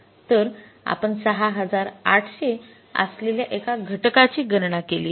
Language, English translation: Marathi, So we have calculated the one component that is 680